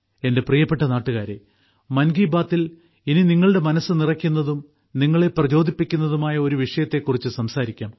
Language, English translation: Malayalam, My dear countrymen, in 'Mann Ki Baat', let's now talk about a topic that will delight your mind and inspire you as well